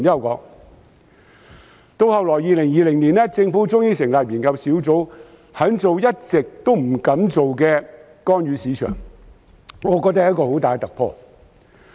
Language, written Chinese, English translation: Cantonese, 及至2020年，政府終於成立研究工作小組，肯做一直不敢做的干預市場，我覺得是很大突破。, Eventually the Government set up a task force in 2020 to study the long - feared idea of market intervention . That was a major breakthrough in my view